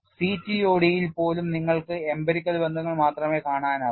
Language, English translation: Malayalam, Even in CTOD you would come across only empirical relations